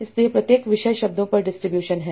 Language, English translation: Hindi, So what are the distribution of words within each topic